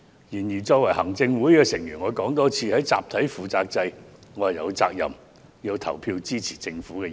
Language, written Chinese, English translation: Cantonese, 然而，身為行政會議成員，我想再次指出，在集體負責制下，我有責任投票支持政府的議案。, But as a member of the Executive Council I wish to point out again that under the collective responsibility system I am duty - bound to vote for the Governments motion